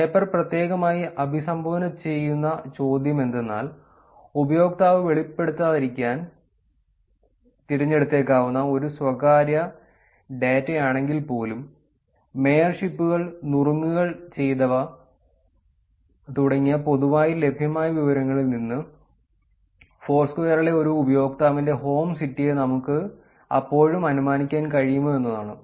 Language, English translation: Malayalam, And the question that the paper specifically addresses is, despite being a private data that the user may choose not to reveal, can we still infer the home city of a user in Foursquare from our mayorships, tips, and done, which are publicly available information